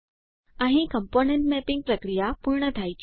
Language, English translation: Gujarati, Here the process of mapping the components is complete